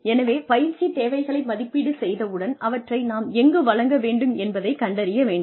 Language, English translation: Tamil, So, once we have assessed the training needs, then we need to find out, where we need to deliver them